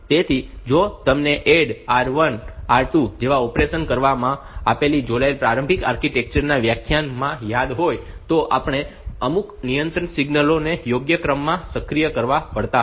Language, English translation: Gujarati, So, if you if you remember in the architecture initial architecture lectures we have seen like for doing operations like ADD R 1 comma R 2 we have to you have to activate some of the control signals in a proper sequence